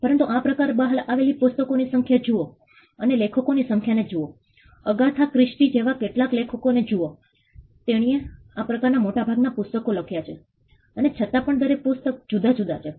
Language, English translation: Gujarati, But look at the number of books that has come out of this genre and look at the number of authors some authors like Agatha Christie she has written most of her books on this genre and still each book is different